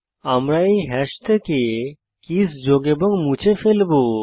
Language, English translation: Bengali, Well be adding, deleting the keys from this hash